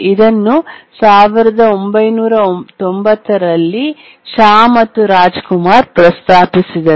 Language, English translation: Kannada, It was proposed by Shah and Rajkumar, 1990